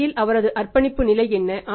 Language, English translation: Tamil, What is his level of commitment in the market